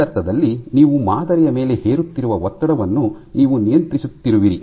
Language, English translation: Kannada, So, in a sense you are controlling the strain you are imposing on the sample